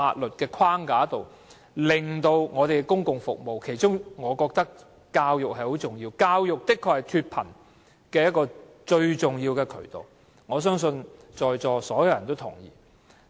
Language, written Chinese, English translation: Cantonese, 我認為當中最重要是教育，教育確實是脫貧的重要渠道，我相信在座所有人也認同這點。, In my view education is the most important of all for it is an important way to lift people out of poverty and I think all of us here will agree with this